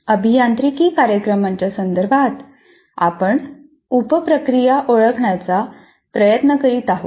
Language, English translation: Marathi, So, in the context of engineering programs, we are trying to identify the sub processes